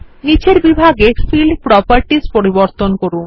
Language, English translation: Bengali, Change the Field Properties in the bottom section